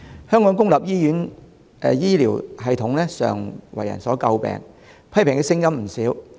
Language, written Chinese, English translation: Cantonese, 香港公立醫院的醫療系統常為人所詬病，批評的聲音不少。, The healthcare system of public hospitals in Hong Kong is always under a lot of criticism